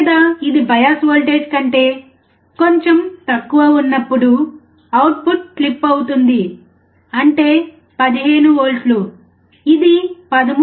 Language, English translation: Telugu, Or it will be the output clip little bit less than what the bias voltage is, that is 15 volts it will clip somewhere around 13